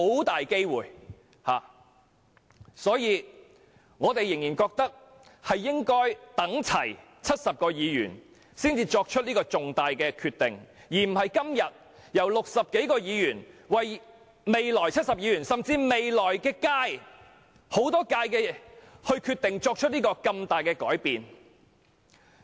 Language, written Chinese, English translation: Cantonese, 因此，我們仍然認為應齊集70名議員才作出如此重大的決定，而非由今天60多名議員為未來70名甚或未來多屆的議員決定作出如此重大的改變。, In view of these we still hold that such a material decision should only be made with the full presence of all 70 Members instead of allowing the some 60 Members here today to introduce such significant changes for the future 70 Members or Members of the terms to come